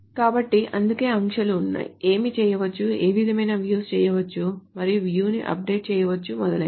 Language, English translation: Telugu, So that is why there are restrictions as to what can be done, which kind of views can be done and whether a view can be updated, etc